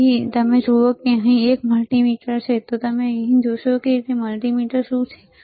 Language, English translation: Gujarati, So, if you see there is a multimeter here, if you see there is a multimeter here